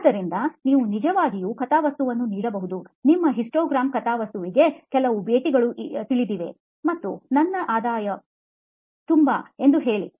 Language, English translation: Kannada, So you can actually plot, say a histogram plot of you know so many visits and so much is my revenue